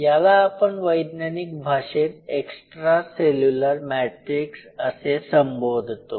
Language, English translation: Marathi, It is a very classic signature of extra cellular matrix